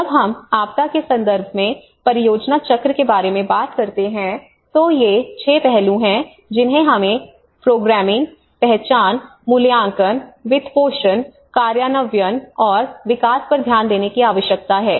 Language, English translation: Hindi, When we talk about the project cycle in the disaster context, these are the 6 aspects which we need to look at the programming, identification, appraisal, financing, implementation and evolution